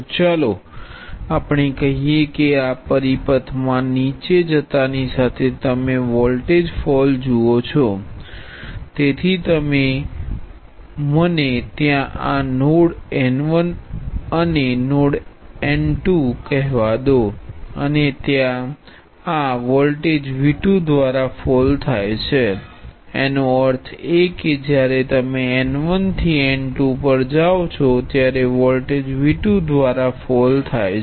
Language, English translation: Gujarati, So let us say you look at the voltage fall as you go down this path, so when you go from let me call this node n 1 to node n 2 the voltage falls by V 2, because n 1 is higher than n 2 by V 2 so that means, that when you go from n 1 to n 2 the voltage falls by V 2